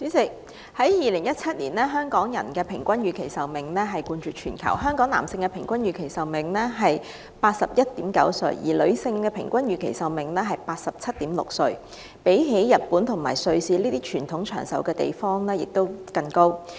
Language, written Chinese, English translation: Cantonese, 主席，在2017年，香港人的平均預期壽命冠絕全球，男性達到 81.9 歲，女性則為 87.6 歲，比日本和瑞士這些國民在傳統上較為長壽的地方還要高。, President Hong Kong people had the longest average life expectancy in the world in 2017 standing at 81.9 years for male and 87.6 years for female which was even longer than that of the people in both Japan and Switzerland the two countries traditionally with long life expectancy